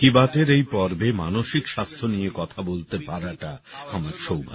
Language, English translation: Bengali, It is our privilege to talk about mental health in this Mann Ki Baat